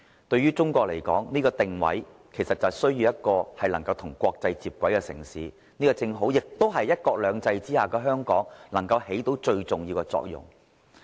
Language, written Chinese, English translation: Cantonese, 對於中國來說，這個定位就是需要一個能夠與國際接軌的城市，這正好是"一國兩制"之下的香港能夠起到最重要的作用。, As far as China is concerned the positioning means that it needs a city which can align with the international community . Hong Kong which operates under the one country two systems principle can make full use of its role